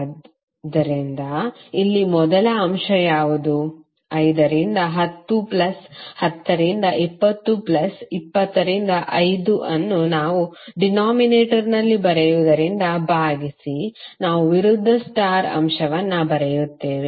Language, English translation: Kannada, So here what would be the first element, 5 into 10 plus 10 into 20 plus 20 into 5 divided by what we write in the denominator, we write the opposite star element